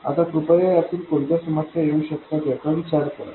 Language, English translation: Marathi, Now please think about what problems this could have